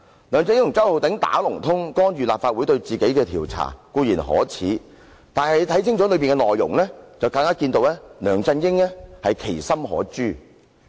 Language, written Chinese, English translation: Cantonese, 梁振英和周浩鼎議員"打同通"，干預立法會對他的調查固然可耻，但大家細閱他修改後的文件內容，就更能看出梁振英其心可誅。, It is despicable that LEUNG Chun - ying and Mr Holden CHOW colluded to interfere with the Legislative Councils inquiry and if we read the amended document carefully we will realize the ulterior motive of LEUNG Chun - ying